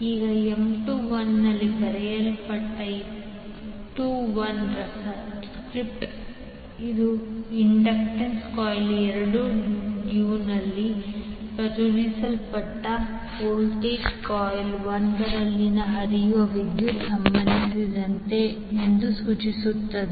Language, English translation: Kannada, Now the subscript that is 21 written in M21 it indicates that the inductance relates to voltage induced in coil 2 due to the current flowing in coil 1